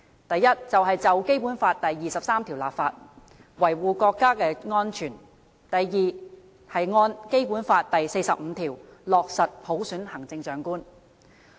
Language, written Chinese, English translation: Cantonese, 第一，就《基本法》第二十三條立法，維護國家安全；第二，按《基本法》第四十五條落實普選行政長官。, The first is to legislate for Article 23 of the Basic Law and uphold national security; and the second is to select the Chief Executive by universal suffrage in accordance with the procedure laid down in Article 45 of the Basic Law